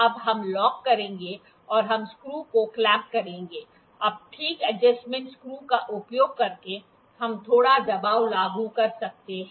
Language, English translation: Hindi, Now, we will lock we clamp the screw, now using fine adjustment screw, we can apply a little pressure